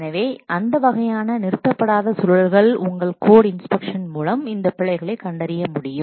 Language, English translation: Tamil, So those kind of non terminating loops, these errors also can be detected by your code inspection